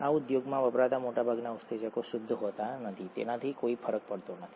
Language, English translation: Gujarati, Most enzymes used in the industry are not pure, that doesn’t matter